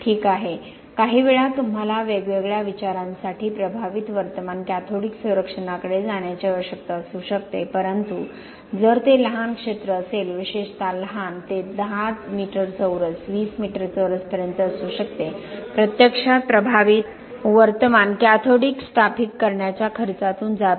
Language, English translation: Marathi, Ok sometimes you may need to go to impressed current cathodic protection for different considerations but if it is a small area, particularly by smaller, it could be up to 10 meter square, 20 meter square, actually going through the cost of installing impressed current cathodic protection, it is really not, not a good suggestion for the client